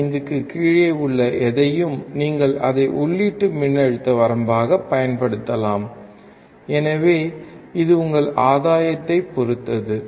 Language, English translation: Tamil, 5 only, you can use it as the input voltage range so, that depends on your gain